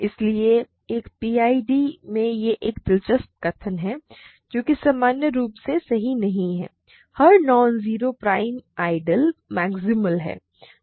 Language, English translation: Hindi, So, in a PID it is an interesting statement that which is in general certainly not true every non zero prime ideal is maximal